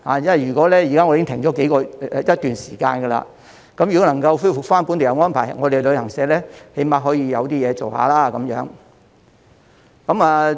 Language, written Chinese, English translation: Cantonese, 因為現時已經停了一段時間，如果能夠恢復本地遊安排，旅行社最低限度有些生意可以做。, Given that travel agents have stopped organizing local tours for quite a while if the arrangement can be resumed travel agents can at least have some business